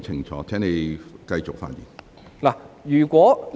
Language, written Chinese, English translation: Cantonese, 請你繼續發言。, Please continue with your speech